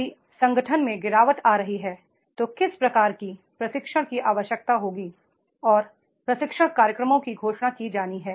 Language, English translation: Hindi, If the organization is declining then what type of the training needs will be there and training programs are to be announced